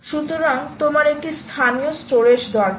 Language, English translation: Bengali, so you need a local storage